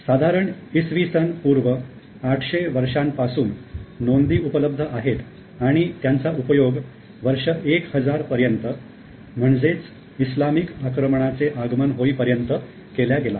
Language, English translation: Marathi, Now the records are available around 800 BC and from there more or less continuously it was used until the advent of Islamic invasion in 180